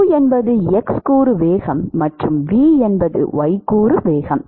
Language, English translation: Tamil, u is the x component velocity and v is the y component velocity